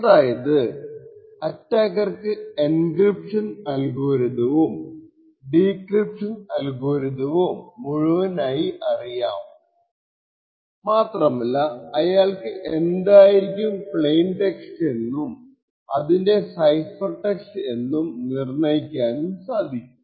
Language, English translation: Malayalam, For instance, attacker would know the entire encryption algorithm the entire decryption algorithm and we also assume at the design time the attacker would be able to determine what the plain text is and the corresponding cipher text